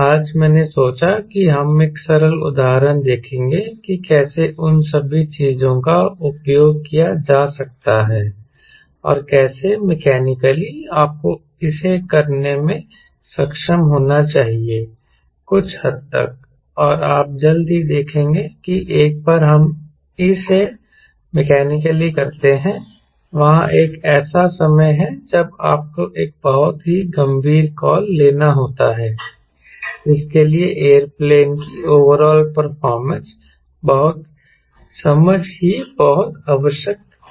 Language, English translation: Hindi, i thought we will take a simple example to see that how all those thing can be made use of and how mechanically you should be able to do it to some extent and you will soon see that once we do it mechanically, there is a time when you have to take a very serious call which will required lot of understanding of overall performance of the aero plane